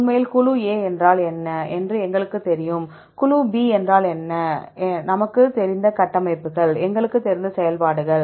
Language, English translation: Tamil, Actually we know what is group A what is group B, the structures we know, the functions we know